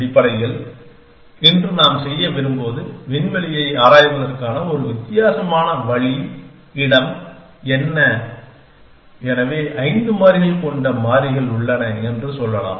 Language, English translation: Tamil, Essentially, we want to do today is a different way of exploring the space, what the space is, so let us say we have variables are five variables